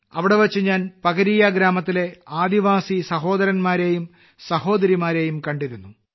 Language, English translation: Malayalam, There I met tribal brothers and sisters of Pakaria village